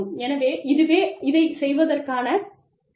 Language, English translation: Tamil, So, that is another way of doing it